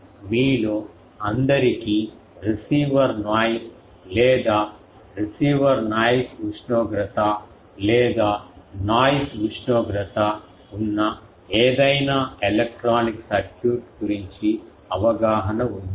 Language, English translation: Telugu, All of you have idea of receiver noise or receiver noise temperature or any electronic circuit that has a noise temperature